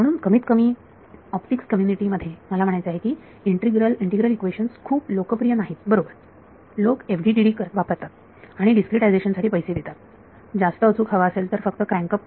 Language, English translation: Marathi, So, I mean integral equations at least in the optics community are not very popular right, people will do FDTD and pay the price in discretization you want more accurate just crank up delta x delta y